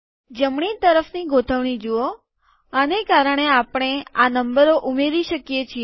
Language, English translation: Gujarati, See the need for right alignment, this is so that we can add these numbers